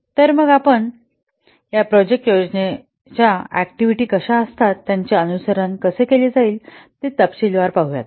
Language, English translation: Marathi, So's see in detail what the, how the activity is a project planning activities they will be followed